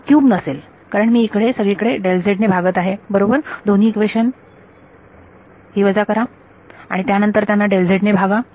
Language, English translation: Marathi, It won’t be cube because there is a, I am dividing everywhere about delta z right subtract these two equations and then divide by delta z